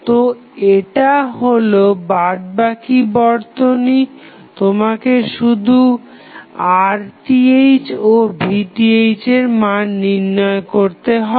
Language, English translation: Bengali, So, this would be rest of the circuit, what you have to do you have to find out the value of Rth and Vth